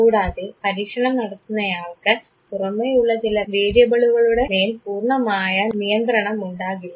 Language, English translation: Malayalam, And the experimenter does not have actually the real control over certain extraneous variables